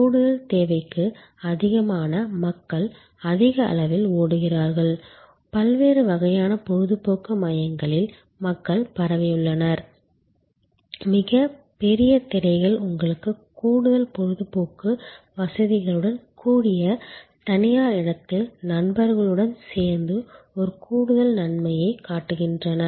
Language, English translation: Tamil, Very large number of people that over flow in a big hump of extra demand people are diffused across these various kinds of entertainment centers very large screens show you the same game with an added advantage of along with friends in sort of private space with additional entertainment facilities like food, beverages, etc